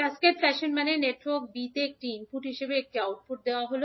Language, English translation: Bengali, Cascaded fashion means the network a output is given as an input to network b